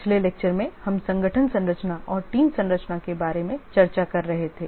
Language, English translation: Hindi, In the last lecture we are discussing about the organization structure and team structure